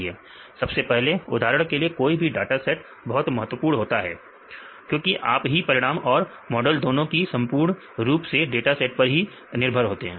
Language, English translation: Hindi, First I will, for example, the dataset that is very important because your, for the final results and the model mainly depends on your dataset